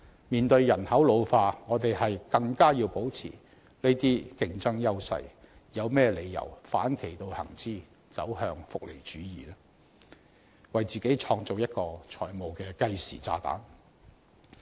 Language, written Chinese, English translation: Cantonese, 面對人口老化，我們更要保持這些競爭優勢，有何理由要反其道而行之，走向福利主義，為自己製造一個財務計時炸彈呢？, In the face of the ageing population we have to maintain our competitive edges . Why should we act in the opposite and head towards welfarism thereby creating a fiscal time bomb for us? . These are the truths behind all this and we must tell them clearly to the people of Hong Kong